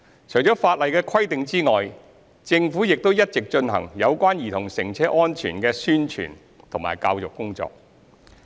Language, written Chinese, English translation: Cantonese, 除法例的規定之外，政府亦一直進行有關兒童乘車安全的宣傳和教育工作。, Statutory requirements aside the Government has been conducting publicity and public education work in relation to child safety in cars